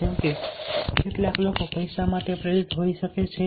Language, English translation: Gujarati, some people might get motivated for money